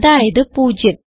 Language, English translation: Malayalam, Now 0 plus 1